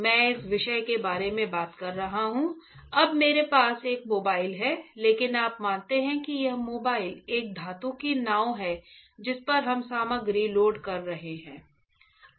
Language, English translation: Hindi, I am talking about this particular let say right, now I am holding a mobile, but you assume that this mobile is a metal boat on which we are loading the material